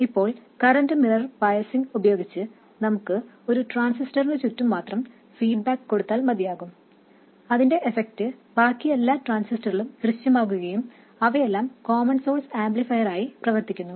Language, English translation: Malayalam, Now with a current mirror biasing we can have feedback around just one transistor but replicate its bias around many other transistors and realize common source amplifiers with all of them